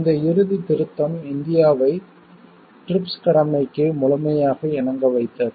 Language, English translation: Tamil, This final amendment brought India in full compliance with the TRIPS obligation